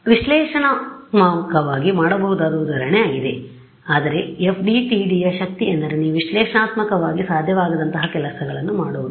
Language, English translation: Kannada, So, this is the example which you could have done analytically also right, but the power of the FDTD is that you can do things which are analytically not possible